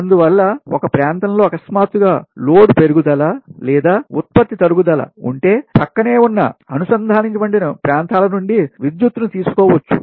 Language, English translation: Telugu, now, if there is a sudden increase in load or loss of generation in one area, it is possible to borrow power from adjoining interconnected area